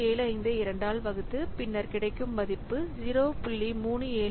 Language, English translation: Tamil, 75 by 2, so this is 0